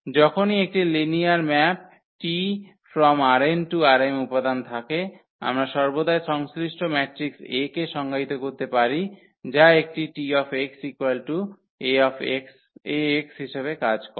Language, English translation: Bengali, Whenever there is a linear map T which maps R n elements to this R m elements, we can always define corresponding matrix A which will work as this Ax instead of this T x